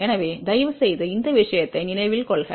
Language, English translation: Tamil, So, please remember these thing